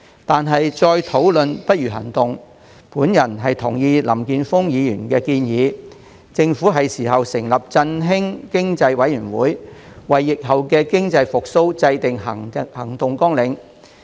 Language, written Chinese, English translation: Cantonese, 但是，再討論不如行動，我同意林健鋒議員的建議，政府應該成立振興經濟委員會，為疫後經濟復蘇制訂行動綱領。, Nevertheless taking actions is better than engaging in discussions . I agree with Mr Jeffrey LAMs proposal that the Government should set up an Economic Stimulation Committee to formulate action plans for post - pandemic economic recovery